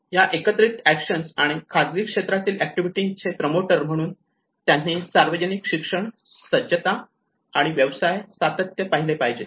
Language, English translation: Marathi, As a promoters of the collective action and private sector activity that is where the public education and preparedness and business continuity